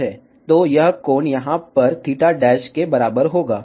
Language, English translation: Hindi, So, this angle will be also equal to theta dash over here